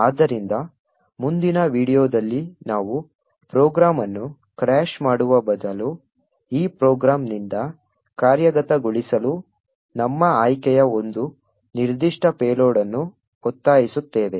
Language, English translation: Kannada, So, the next video we will see that instead of just crashing the program we will force one particular payload of our choice to execute from this program